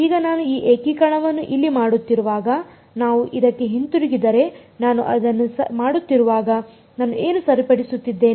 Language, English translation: Kannada, Now, when I am doing this if we go back to this when I am doing this integration over here what am I holding fixed